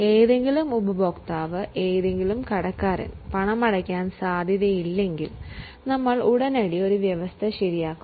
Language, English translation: Malayalam, So, any customer, any debtor, if is likely to not pay, we will immediately make a provision